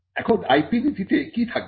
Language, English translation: Bengali, Now, what will an IP policy contain